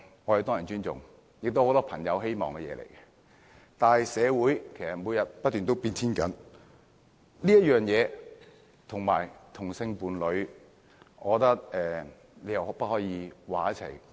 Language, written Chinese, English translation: Cantonese, 我們當然尊重，也是很多朋友希望的，但社會其實每天都在不斷改變，我覺得此事跟同性伴侶的身份不可以混為一談。, Certainly we respect monogamy and it is what many friends of mine are hoping for . However society is actually changing every day . In my opinion this issue and the identity of same - sex partners should not be lumped together for discussion